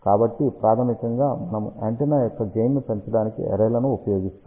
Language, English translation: Telugu, So, basically we use arrays to increase the gain of the antenna